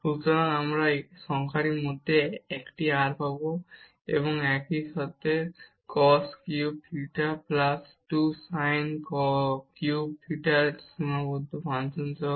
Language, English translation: Bengali, So, we will get one r in the numerator and together with some bounded function of this cos cube theta plus 2 sin cube theta